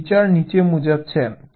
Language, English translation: Gujarati, so the basic idea is this